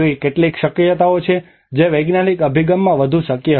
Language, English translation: Gujarati, There are some possibilities which were more possible in the scientific approach